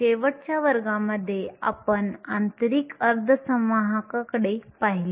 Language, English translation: Marathi, Last class we looked at intrinsic semiconductors